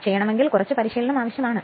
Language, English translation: Malayalam, So, little bit practice is necessary